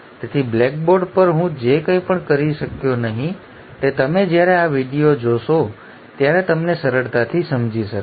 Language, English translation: Gujarati, So whatever I could not do it on the blackboard will be easily understood by you when you watch this particular video